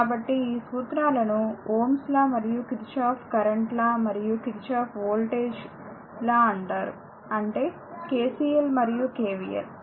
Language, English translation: Telugu, So, these laws are known as Ohm’s law and Kirchhoff’s current law and Kirchhoff’s voltage law; that is, KCL and KVL and before that Ohm’s law